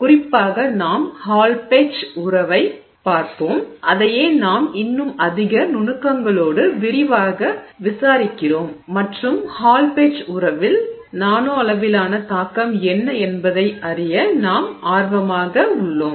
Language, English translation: Tamil, In particular we will look at the Hallpage relationship which is what we are you know investigating in greater detail and we are interested in knowing what is the impact of the nanoscale on the Hallpage relationship